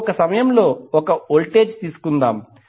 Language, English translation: Telugu, Now let us take one voltage at a time